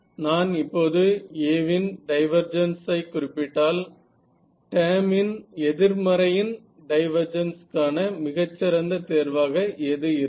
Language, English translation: Tamil, So, if I now specify the divergence of A in and what is the most natural choice for divergence of a negative of this term ok